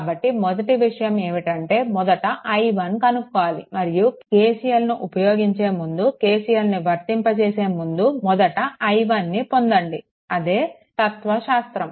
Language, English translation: Telugu, So, first thing is that you have to obtain i 1 first you have to obtain i 1 and before sorry before applying KCL ah before applying KCL, first you ah obtain i 1 so, same philosophy same philosophy